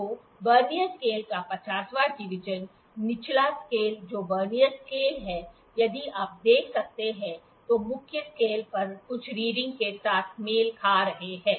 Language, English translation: Hindi, So, the 50th division of the Vernier scale, the lower scale that is a Vernier scale is matching with some reading on the main scale if you can see